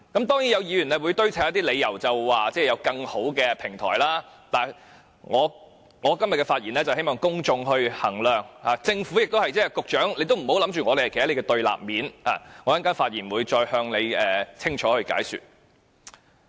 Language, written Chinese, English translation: Cantonese, 當然，有議員會堆砌理由說有更好的平台，但我今天的發言是希望公眾衡量，政府亦如是，局長也不要認定我們站在你的對立面，我稍後發言會再向你清楚解說。, Obviously certain Members will try to cite some reasons claiming that better platforms are available elsewhere . Nevertheless I speak today with an aim to ask the public to weight up the matter . This also applies to the Government and the Secretary who should not presume that we are standing out against him